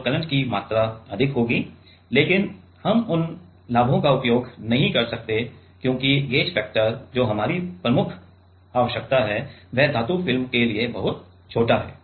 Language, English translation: Hindi, So, the amount of current will be higher, but we cannot use those advantages because the gauge factor which is our prime requirement that itself is pretty small for metal film